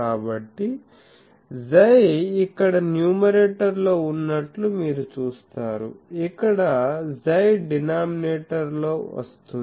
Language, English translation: Telugu, So, you see here x is coming in the numerator; here x is coming in the denominator